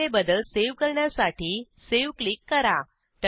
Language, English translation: Marathi, Now Click on Save to save the changes